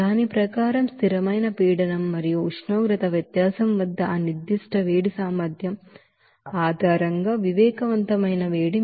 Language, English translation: Telugu, According to that you know sensible heat based on that specific heat capacity at constant pressure and the temperature difference